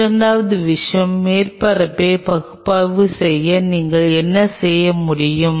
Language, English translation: Tamil, Second thing what you can do to analyze the surface